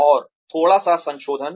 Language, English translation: Hindi, And, a little bit of revision